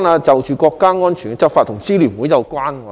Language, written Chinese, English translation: Cantonese, 就國家安全執法與支聯會有關。, Law enforcement for national security concerns the Alliance